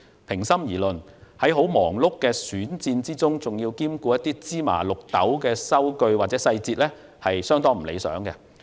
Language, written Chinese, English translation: Cantonese, 平心而論，在十分忙碌的選戰中，還要兼顧芝麻綠豆的收據或細節，是相當不理想的。, To be fair in the course of a very busy election campaign it is rather unsatisfactory if I still have to spare the time to deal with trivial invoices or details of expenses